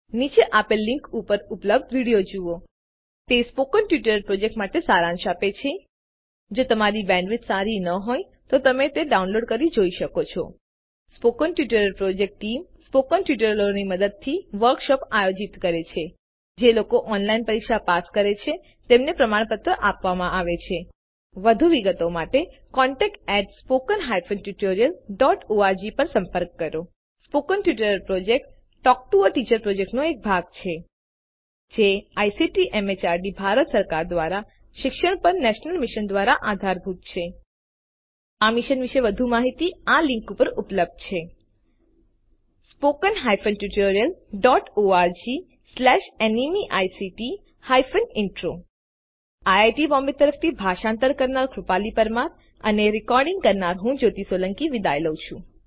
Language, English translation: Gujarati, Watch the video available at http://spoken tutorial.org/What is a Spoken Tutorial It summarises the Spoken Tutorial project If you do not have good bandwidth, you can download and watch it The Spoken Tutorial Project Team Bold text Conducts workshops using spoken tutorials Gives certificates for those who pass an online test For more details, please write to contact@spoken tutorial.org Spoken Tutorial Project is a part of the Talk to a Teacher project It is supported by the National Mission on Education through ICT, MHRD, Government of India More information on this Mission is available at http://spoken tutorial.org/NMEICT Intro This tutorial has been contributed by Desi Crew Solution Pvt